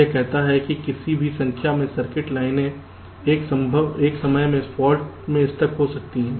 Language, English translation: Hindi, this says that any number of circuits, lines, can have such stuck at faults at a time